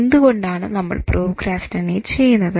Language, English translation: Malayalam, Why do we procrastinate